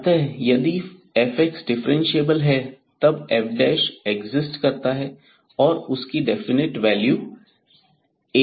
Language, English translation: Hindi, So, if f x is differentiable then f prime exist and has definite value A